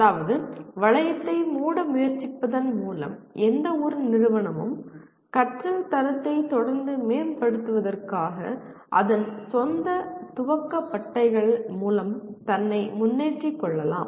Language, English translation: Tamil, That means by trying to close the loop, any institution can keep on lifting itself by its own boot straps to continuously improve the quality of learning